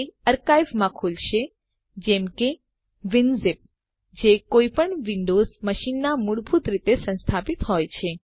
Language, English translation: Gujarati, It will open in an archiver like Winzip, which is installed by default on any windows machine